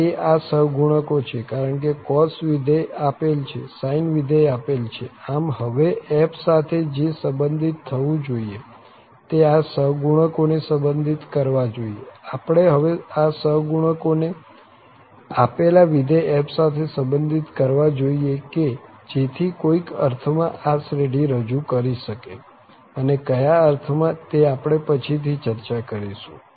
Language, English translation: Gujarati, These are these coefficients, because cos function is given, sine function is given so what is to be related with the function f is that we have to relate these coefficients, we have to relate these coefficients to the given function f so that this series can represent in some sense, and in what sense this function f, that will be discussed later